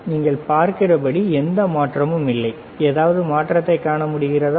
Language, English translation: Tamil, And as you see, there is no change, can you see any change